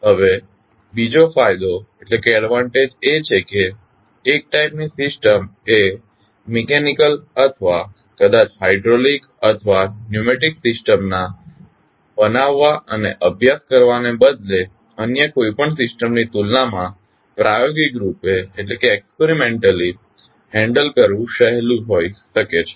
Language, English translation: Gujarati, Now, second advantage is that since one type of system may be easier to handle experimentally than any other system instead of building and studying the mechanical or maybe hydraulic or pneumatic system